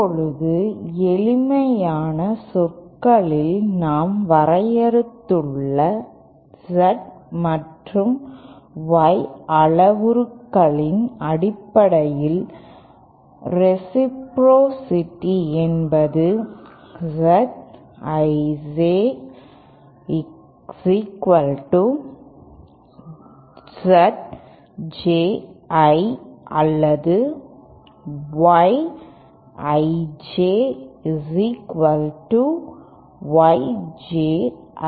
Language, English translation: Tamil, Now in simple terms reciprocity in terms of the Z and Y parameters that we just defined is that Z I J is equal to Z J I or Y I J is equal to Y J I